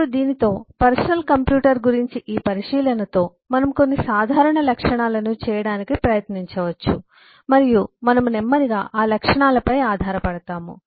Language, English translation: Telugu, now, with this, with this eh observation about personal computer, we can try to make some generic eh properties and we will slowly build up on those properties